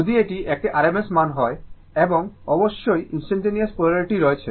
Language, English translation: Bengali, If it is a rms value, and of course instantaneous polarity is there